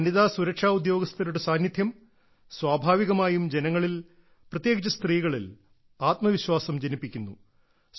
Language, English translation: Malayalam, The presence of women security personnel naturally instills a sense of confidence among the people, especially women